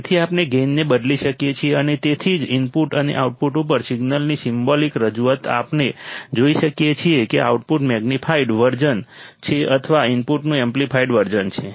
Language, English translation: Gujarati, So, we can change the gain and that is why the symbolic representation of the signal at the input and the output we can see that the output is magnified version or amplified version of the input, correct